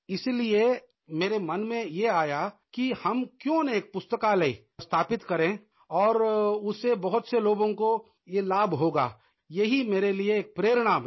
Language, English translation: Hindi, So, I thought why not establish a library, which would benefit many people, this became an inspiration for me